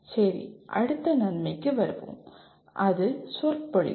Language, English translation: Tamil, Okay, coming to the next advantage, “discourse”